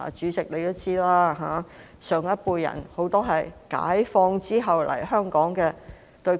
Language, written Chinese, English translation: Cantonese, 主席也知道，很多上一輩人都是解放後來港的。, Chairman you also know that many people of the previous generation came to Hong Kong after liberation